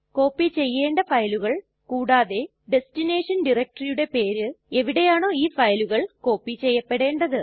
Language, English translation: Malayalam, files that we want to copy and the name of the destination DIRECTORY in which these files would be copied